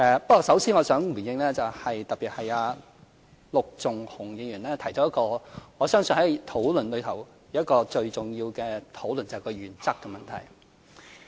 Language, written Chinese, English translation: Cantonese, 不過，首先我想回應——特別是陸頌雄議員提到——我相信在討論中是最重要的部分，是原則問題。, However first of all I would like to respond that the crux of our discussions is the issue of principle especially as Mr LUK Chung - hung has mentioned this too